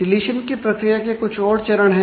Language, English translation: Hindi, So, more steps in the deletion